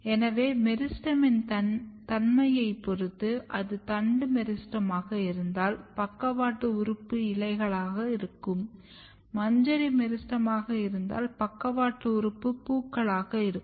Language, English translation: Tamil, As I said depending on what is the nature of meristem if it is shoot meristem then the lateral organs will be leaf, when if it is inflorescence meristem the lateral organs will be flowers